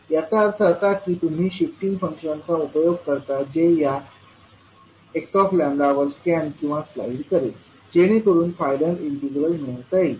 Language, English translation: Marathi, So it means that you will utilise the shifting function which will scan or slide over the x lambda to get the final integral